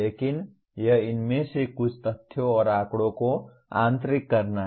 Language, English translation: Hindi, But it is some of these facts and figures have to be internalized